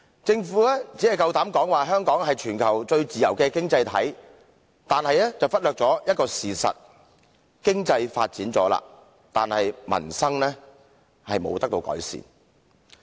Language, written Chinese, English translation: Cantonese, 政府夠膽說香港是全球最自由的經濟體，卻忽略了一個事實：經濟已經發展，但民生卻不獲改善。, The Government is bold enough to mention that Hong Kong is the worlds freest economy but it has overlooked the fact that our economy is already developed but the livelihood of the people is not improved